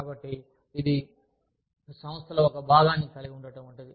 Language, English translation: Telugu, So, it is like having, a part of the organization